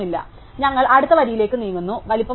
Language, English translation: Malayalam, So, then we move to the next row, once again we see that the size is 5